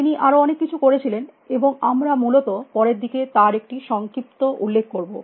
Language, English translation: Bengali, He did many other things and we will just have a brief mention on of him later essentially